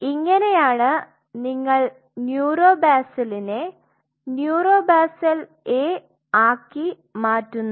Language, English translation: Malayalam, So, this is how from neuro basal you convert it into neuro basal A